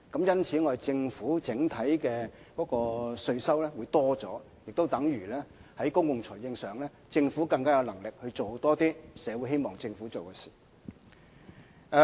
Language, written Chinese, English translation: Cantonese, 因此，政府整體稅收會增加，也等於在公共財政上，政府有能力多做一些符合社會期望的事情。, Therefore the overall tax yield will increase thereby rendering the Government more capable in terms of public finance of introducing measures that better meet societys expectations